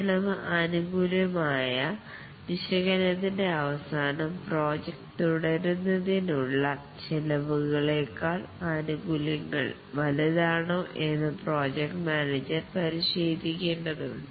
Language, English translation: Malayalam, At the end of the cost benefit analysis, the project manager needs to check whether the benefits are greater than the costs for the project to proceed